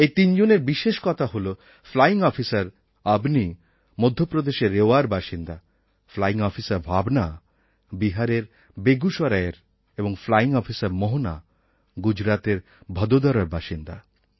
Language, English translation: Bengali, Flying Officer Avni is from Rewa in Madhya Pradesh, Flying Officer Bhawana is from Begusarai in Bihar and Flying Officer Mohana is from Vadodara in Gujarat